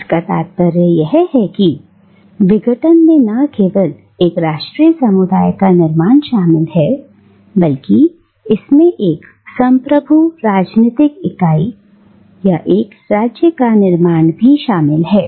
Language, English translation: Hindi, That is to say that decolonisation not only involves the creation of a national community but it also involves the creation of a sovereign political entity or a state